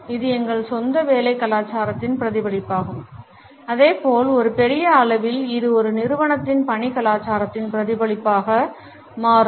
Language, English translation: Tamil, It is also a reflection of our own work culture as well as at a larger scale it becomes a reflection of the work culture of an organization